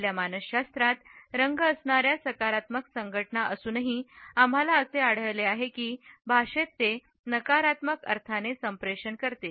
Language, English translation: Marathi, Despite the positive associations which color has in our psychology, we find that in language it communicates a negative meaning to be in